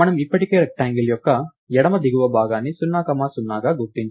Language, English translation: Telugu, So, we have already marked the rectangle's left bottom as 0 comma 0